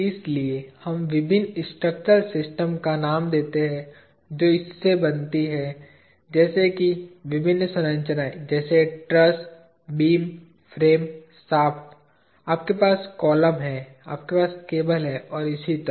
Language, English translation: Hindi, So, we name different structural systems that form out of this, as different structures such as trusses, beams, frames, shafts, you have columns, you have cables and so on